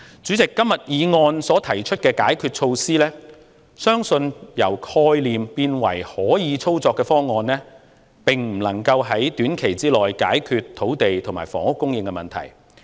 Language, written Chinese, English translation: Cantonese, 主席，今天議案所提出的解決措施，相信將之由概念變為可操作方案需時，並不能夠在短期內解決土地和房屋供應的問題。, President it is believed that it will take time to turn the countermeasures proposed in the motion today from concepts into operable proposals so they cannot solve the problem of land and housing supply in the short term